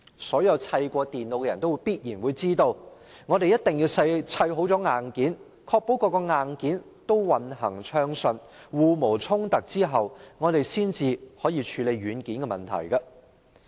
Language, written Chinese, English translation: Cantonese, 所有砌過電腦的人都必然知道，必須先砌好硬件，確保各個硬件均運行暢順、互無衝突後，才可以處理軟件的問題。, Anyone who has assembled a computer certainly knows that he must first put together all hardware parts and make sure they run smoothly without conflicting with each other before he can deal with the software